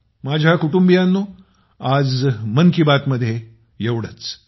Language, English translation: Marathi, My family members, that's all today in Mann Ki Baat